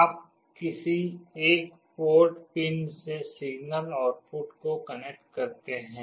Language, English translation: Hindi, You connect the signal output to one of the port pins